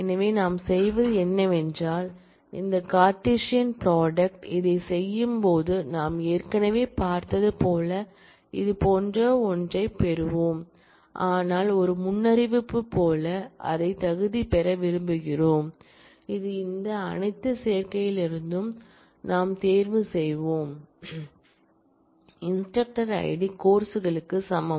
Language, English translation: Tamil, So, what we do is, when we do this Cartesian product will get something like this, as we have already seen, but we want to qualify it by with a predicate which say that, we will out of all these combinations will choose only those where, the instructor